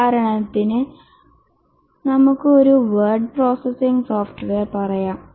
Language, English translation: Malayalam, For example, let's say a word processing software